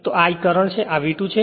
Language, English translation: Gujarati, So, this is my I current is this is my V 2